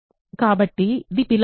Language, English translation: Telugu, So, it is in R